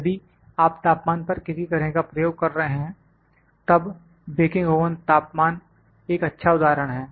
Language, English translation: Hindi, If you are doing some kind of experiments of the temperature baking oven temperature is a good example